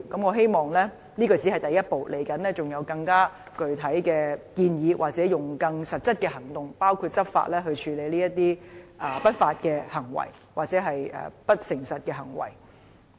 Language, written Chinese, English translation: Cantonese, 我希望這只是第一步，將來會有更具體的建議或更實質的行動，包括以執法來處理這些不法、或是不誠實的行為。, I hope that this marks only the first step and more specific proposals or more concrete actions will come in the future including law enforcement actions to combat such unlawful or dishonest practices